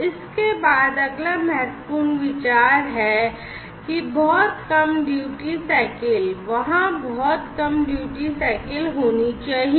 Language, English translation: Hindi, Thereafter, the next important consideration is that there is very low duty cycle; there is very low duty cycle that should be there